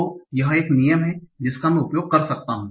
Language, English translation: Hindi, So this is a rule that I can use